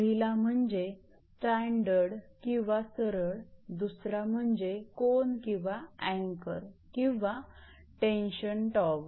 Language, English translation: Marathi, One is the standard your or straight run or intermediate tower, another one the angle or anchor or tension tower